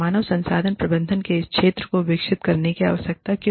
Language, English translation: Hindi, Why does this field of human resource management, need to evolve